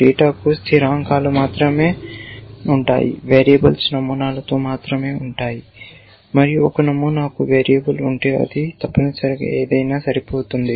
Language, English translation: Telugu, The data will only have constants, variables are only in the patterns and if a pattern has a variable it means it can match anything essentially